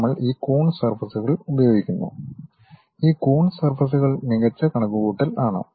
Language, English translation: Malayalam, We employ these Coons surfaces and this Coons surfaces are better approximations